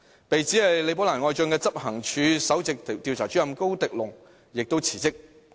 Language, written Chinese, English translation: Cantonese, 被指是李寶蘭愛將的執行處首席調查主任高迪龍亦辭職。, Principal Investigator Dale KO said to be Rebecca LIs favourite subordinate also resigned